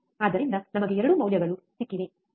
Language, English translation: Kannada, So, we have 2 values, right